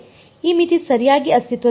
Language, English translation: Kannada, This limit does not exist right